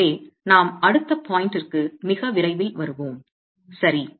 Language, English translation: Tamil, So, that's a point that we will come back to very soon